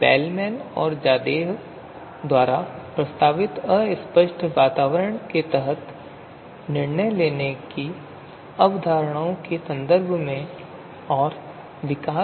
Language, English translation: Hindi, Further development in terms of concepts of decision making under fuzzy environments that was proposed by Bellman and Zadeh